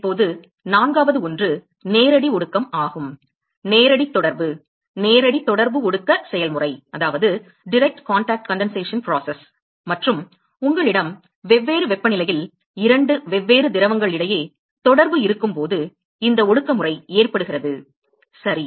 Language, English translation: Tamil, Now, the fourth one is the direct condensation, direct contact, direct contact condensation process and this mode of condensation occurs when you have contact between two different fluids at different temperature ok